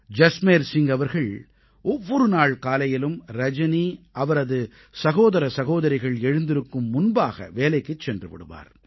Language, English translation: Tamil, Early every morning, Jasmer Singh used to leave for work before Rajani and her siblings woke up